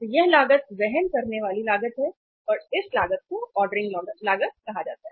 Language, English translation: Hindi, So this cost is the carrying cost and this cost is called as the ordering cost